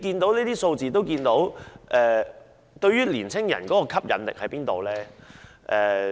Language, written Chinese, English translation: Cantonese, 從這些數字可見，中國大陸對於年輕人的吸引力何在呢？, Having learnt these statistics I wonder how attractive Mainland China is to young people